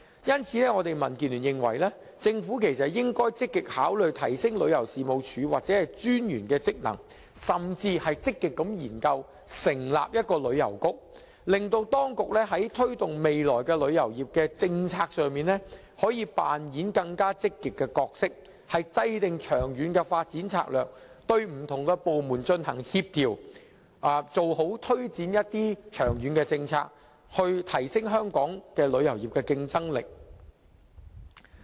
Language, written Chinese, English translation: Cantonese, 因此，我們民建聯認為，政府應積極考慮提升旅遊事務署或旅遊事務專員的職能，甚至積極研究成立旅遊局，令當局在未來推動旅遊業政策時可以扮演更積極的角色，制訂長遠發展策略，協調不同部門推展長遠政策，從而提升香港旅遊業的競爭力。, For this reason we in DAB are of the view that the Government should actively consider the idea of enhancing the powers and functions of the Tourism Commission or the Commissioner for Tourism . The Government should even actively study the establishment of a Tourism Bureau so as to enable the authorities to play a more active role in promoting tourism policies formulating long - term development strategies and coordinating the efforts of various departments in taking forward long - term policies . This can in turn enhance the competitiveness of Hong Kongs tourism industry